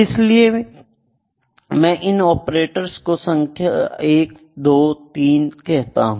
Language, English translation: Hindi, So, I have to name the three operators operator 1, operator 2, operator 3, ok